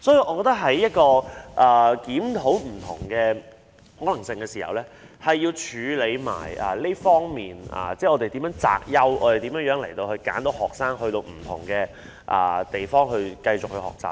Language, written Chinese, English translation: Cantonese, 我們在檢討不同的可能性時，需要注意處理擇優的問題，以揀選學生到不同的地方繼續學習。, Therefore when we review different possibilities we must not forget that we should select the best and select the right students to go to the right schools